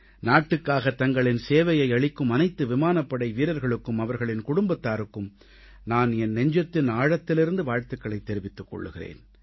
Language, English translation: Tamil, From the core of my heart, I congratulate those Air Warriors and their families who rendered service to the nation